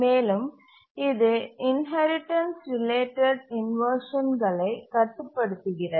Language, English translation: Tamil, And also it limits inheritance related inversions